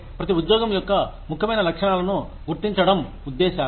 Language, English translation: Telugu, Purposes are identification of important characteristics of each job